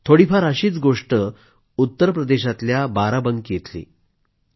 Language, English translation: Marathi, A similar story comes across from Barabanki in Uttar Pradesh